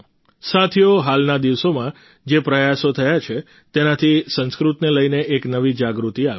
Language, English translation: Gujarati, the efforts which have been made in recent times have brought a new awareness about Sanskrit